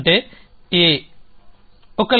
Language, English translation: Telugu, That is A